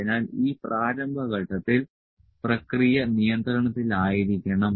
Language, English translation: Malayalam, So, during this initial phase the process should be in control